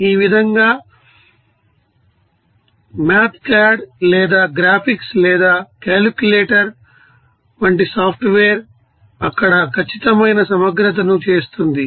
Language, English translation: Telugu, This is usually how software like you know mathcad or graphics or calculator perform definite integrals there